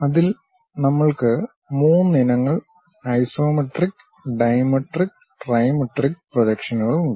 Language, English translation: Malayalam, In that we have 3 varieties isometric, dimetric and trimetric projections